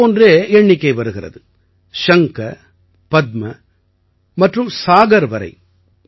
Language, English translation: Tamil, Similarly this number goes up to the shankh, padma and saagar